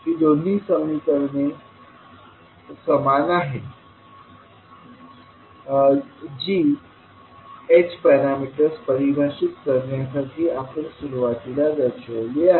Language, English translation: Marathi, So these two are the same equations which we represented initially to define the h parameters